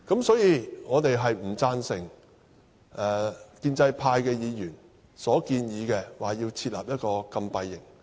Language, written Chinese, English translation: Cantonese, 所以，我們不贊成建制派議員設立禁閉營的建議。, For that reason we do not agree with the idea of Members from the pro - establishment camp that a closed camp should be set up